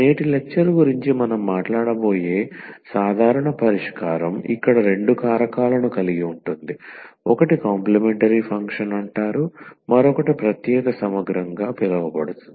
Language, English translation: Telugu, So, the general solution which we will be talking about today’s and today’s lecture will be having two factors here one is called the complementary function the other one is called the particular integral